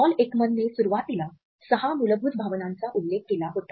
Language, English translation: Marathi, Paul Ekman had initially referred to six basic emotions